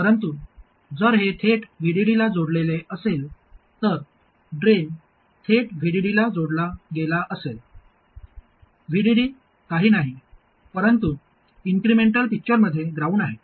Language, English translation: Marathi, But if this is connected directly to VDD, the drain is connected directly to VDD, VDD is nothing but ground in the incremental picture